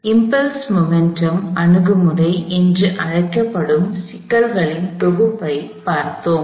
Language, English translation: Tamil, We looked at a set of problems involving, what is called the impulse momentum approach